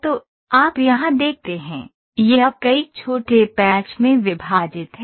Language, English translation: Hindi, So, you see here, it is now divided into several small small small patches